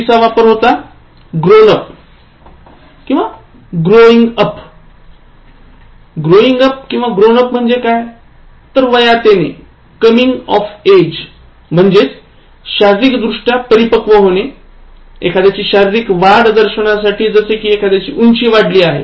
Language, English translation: Marathi, So, the wrong form is grown up, growing up means coming of age, that is becoming physically matured, to suggest physical growth such as indicating somebody has grown taller